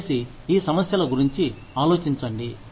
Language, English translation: Telugu, Please think about, these issues